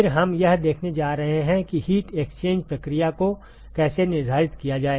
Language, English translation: Hindi, Then we are going to look at how to quantify the heat exchange process